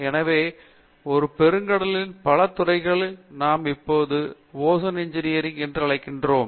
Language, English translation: Tamil, So, a whole lot of disciplines have been encompassed in what we now called Ocean Engineering